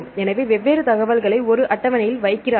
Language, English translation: Tamil, So, what they do they put different information in a table